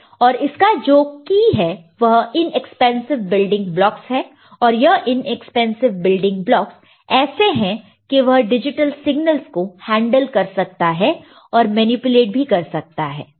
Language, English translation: Hindi, And the key to it is inexpensive building blocks and these inexpensive building blocks are such that they it can handle digital signals and can manipulate